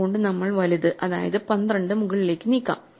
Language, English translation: Malayalam, So, we move the larger of the two up namely 12